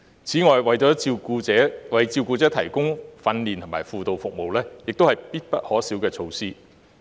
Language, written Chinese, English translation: Cantonese, 此外，為照顧者提供訓練和輔導服務也是必不可少的措施。, Besides providing carers with training and counselling services is also indispensable